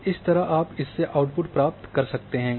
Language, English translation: Hindi, So, likewise you can get output from that